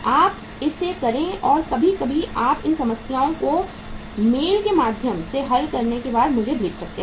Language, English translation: Hindi, You do it or sometime you can send these uh problems after solving it uh through mail to me